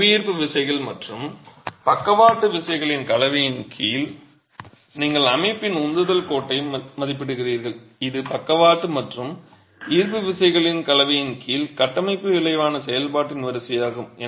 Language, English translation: Tamil, A combination under the combination of gravity forces and lateral forces you are estimating the thrust line of the system which is the line of the resultant of the structure under a combination of lateral and gravity forces